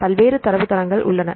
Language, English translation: Tamil, So, there are various databases